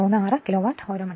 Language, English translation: Malayalam, 36 Kilowatt hour